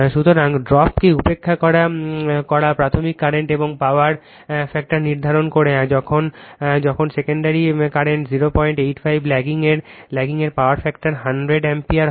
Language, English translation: Bengali, So, neglecting the drop determine the primary current and power factor when the secondary current is hundred ampere at a power factor of 0